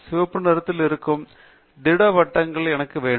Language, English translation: Tamil, I want solid circles that are colored red